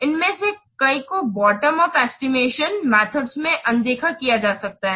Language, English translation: Hindi, Many of these may be ignored in bottom up estimation